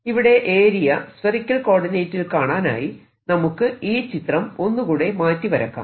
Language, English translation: Malayalam, now what we learnt earlier in spherical co ordinates area of this, so let me just make this, this picture again, what i am taking